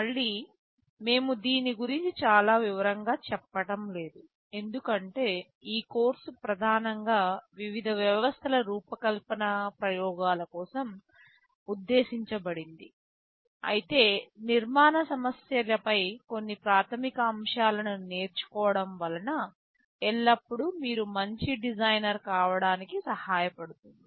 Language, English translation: Telugu, Again we shall not be going into very much detail of this because this course is primarily meant for a hands on demonstration for designing various systems, but learning some basic concepts on the architectural issues will always help you in becoming a better designer